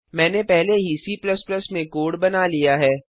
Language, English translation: Hindi, I have already made the code in C++